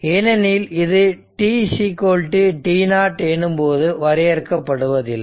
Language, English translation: Tamil, So, it is 0, but except at t is equal to t 0